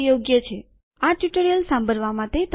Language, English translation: Gujarati, Thank you for listening to this tutorial